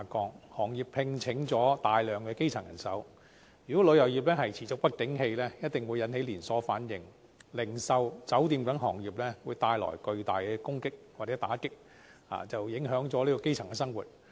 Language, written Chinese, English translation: Cantonese, 由於行業聘請大量基層人手，如果旅遊業持續不景氣，一定會引起連鎖反應，對零售及酒店等行業造成巨大打擊，影響基層生活。, As the industry employs a large number of grass - roots workers if it suffers a sustained downturn a chain reaction will certainly be resulted dealing a heavy blow to the retail and hotel industries and adversely affecting the livelihood of the grass roots